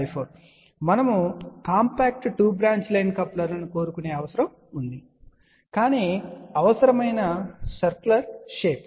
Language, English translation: Telugu, I just to tell you there was a requirement where we wanted a compact 2 branch line coupler, but the shape required was a circular shape